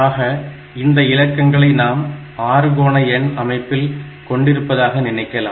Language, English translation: Tamil, So, these are the digits that we have in the hexadecimal number system, this way you can think